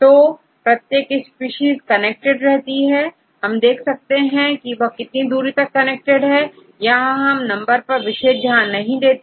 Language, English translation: Hindi, So, each species connected and then see how far they can connect with each other regardless of this any of these numbers